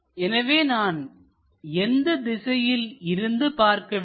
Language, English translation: Tamil, So, we have to look at from this direction